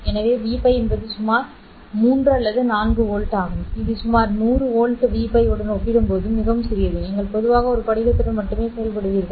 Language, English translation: Tamil, So, V Py is just about 3 or 4 volts, which is very, very small compared to about 100 volt V Pi that you will normally get with a crystal operating alone